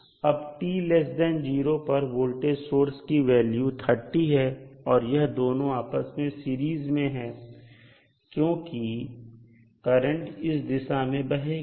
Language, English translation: Hindi, Now, at time t less than 0 the value of voltage source is 30 volt and these 2 are in series because the current will flow through these direction